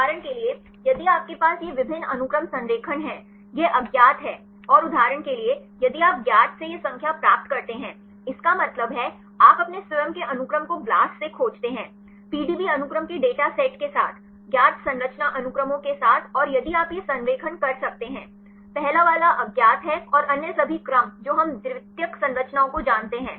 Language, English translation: Hindi, For example, right if you have this multiple sequence alignment; this is unknown and for example, if you get these numbers from known; that means, you search your own sequence with BLAST; with the data set of PDB sequences, with known structure sequences and if you could do this alignment; the first one is unknown and the all other sequences we know the secondary structures